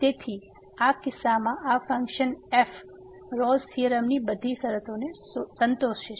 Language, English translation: Gujarati, So, in this case this function satisfies all the conditions of the Rolle’s theorem